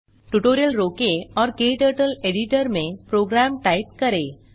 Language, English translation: Hindi, Pause the tutorial and type the program into KTurtle editor